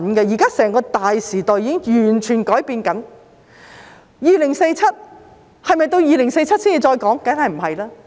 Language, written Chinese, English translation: Cantonese, 現在整個大時代正在改變，是否到2047年才討論？, The entire grand era is changing . Should we refrain from discussing it until 2047?